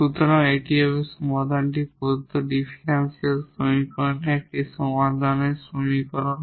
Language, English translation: Bengali, So, this will be the solution will be the general solution of the given differential equation a given homogeneous equation here